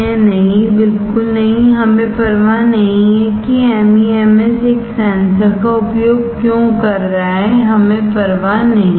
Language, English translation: Hindi, No, absolutely not, we do not care why MEMS is using a sensor we do not care